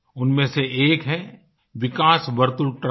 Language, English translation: Hindi, Of these one is Vikas Vartul Trust